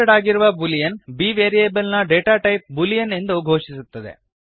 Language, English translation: Kannada, Type boolean b The keyword boolean declares the data type of the variable b as boolean